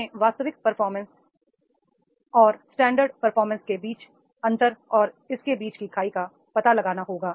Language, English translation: Hindi, We have to find out the actual performance gap, gap between the standards and gap between this